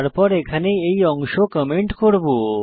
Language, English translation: Bengali, Then I have commented this portion here